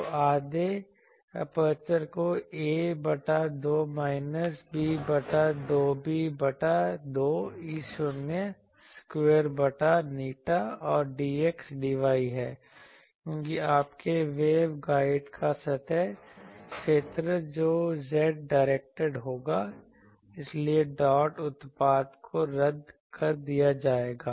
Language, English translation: Hindi, So, half you integrate over the aperture a by 2 minus b by 2 b by 2 E not square by eta and dx dy because your surface area of the waveguide that will be z directed so, dot product that will cancel